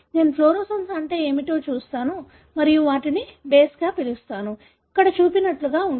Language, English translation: Telugu, I look into what is the fluorescence and call them as a base, something like what is shown here